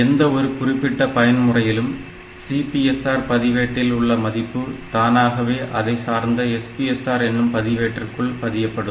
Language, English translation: Tamil, So, whenever you come to a particular mode, so previous CPSR register is saved automatically into the corresponding SPSR register